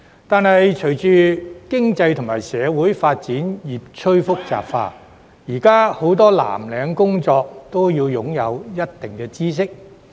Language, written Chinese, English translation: Cantonese, 但是，隨着經濟及社會發展越趨複雜，現時很多藍領工作均須擁有一定知識。, However owing to the increasingly complex socio - economic development many blue - collar jobs now demand a certain level of knowledge